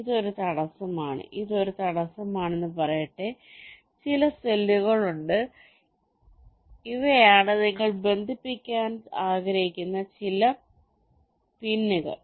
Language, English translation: Malayalam, let say this is an obstacle, there is some cells and these are some pins which you want to connect